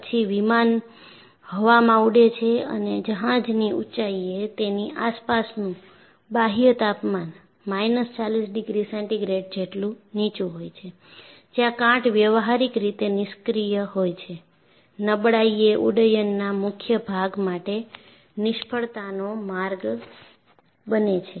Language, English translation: Gujarati, Then the aircraft flies into the air and at cruising altitudes, the ambient external temperature is as low as minus 40 degree centigrade, where corrosion is practically inactive, fatigue is the failure mode for the major part of flight, it is a very nice example